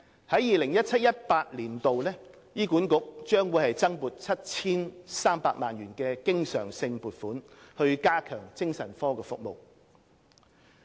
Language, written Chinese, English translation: Cantonese, 在 2017-2018 年度，醫管局將獲增撥 7,300 萬元經常性撥款以加強精神科服務。, In 2017 - 2018 an additional recurrent funding of 73 million will be allocated to HA for enhancing psychiatric services